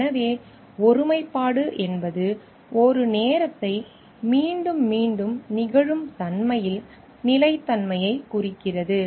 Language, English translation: Tamil, So, integrity means consistency in repetitiveness of a time